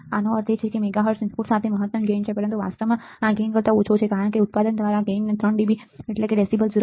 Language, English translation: Gujarati, This means that with a one mega hertz input maximum gain is 1, but actually this gain is less than 1 because gain by product is defined as three dB decibel 0